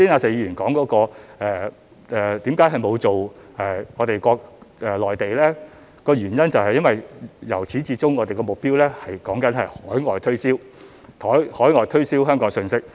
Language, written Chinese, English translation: Cantonese, 至於剛才石議員問為何沒有向內地推廣，原因是由始至終我們的目標是向海外推銷香港信息。, As for the question raised by Mr SHEK why we have not done promotion targeting the Mainland it is because our objective this time has always been promoting Hong Kong overseas